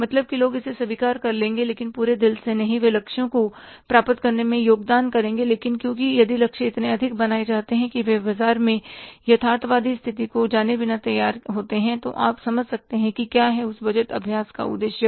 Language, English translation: Hindi, They will contribute to achieve the targets but if the targets are so high because they are created, they are set without knowing the realistic position in the market, then you can understand what is the purpose of that budgeting exercise